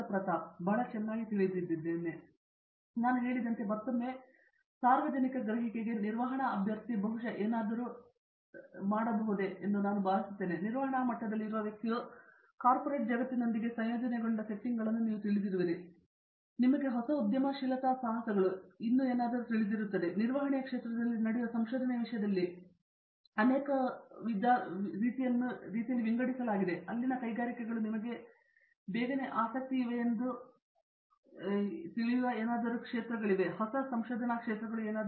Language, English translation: Kannada, That’s very nice to know, The I think again as I mentioned may be and what is probably there in the public perception is of course, a management candidate; a person with the degree in management is often quite well sort after in many various you know settings associated with corporate world, with even you know new entrepreneurial ventures and so on, but in terms of the research that goes on in the area of the management, are there specific areas of research that the industries sort of you know almost immediately interested in